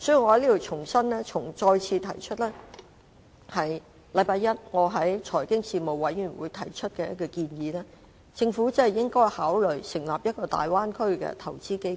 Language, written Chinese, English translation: Cantonese, 我在此重申我星期一在財經事務委員會曾提出的一個建議，便是政府應該考慮成立一個大灣區投資基金。, Let me repeat my suggestion put forward at the meeting of the Panel on Financial Affairs last Monday . The Government should consider setting up a Bay Area investment fund